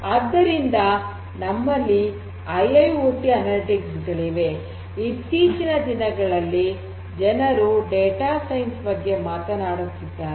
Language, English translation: Kannada, So, so, we have IIoT analytics; the concept nowadays you know people are talking about data science, right